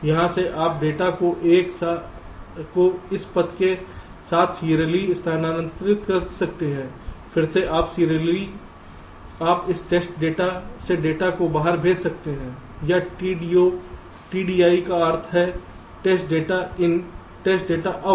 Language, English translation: Hindi, again, you can serially, you can send the data out from this test data out, or t d o, t d o i stands for test data in test data out